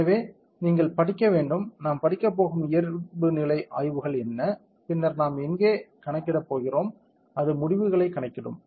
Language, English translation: Tamil, So, far that you go to study and there is a default studies that are available we have going to study, then we are going to compute here it will compute the results